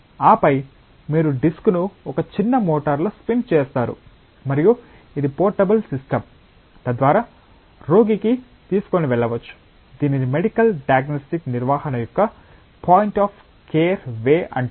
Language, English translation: Telugu, And then you spin the disk in a small motor and that is a portable system, so that can be taken to the patient itself this is called a point of care way of handling medical diagnostics